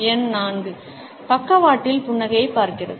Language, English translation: Tamil, Number 4; sideways looking up smile